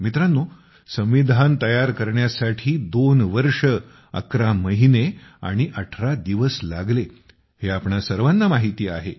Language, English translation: Marathi, Friends, all of us know that the Constitution took 2 years 11 months and 18 days for coming into being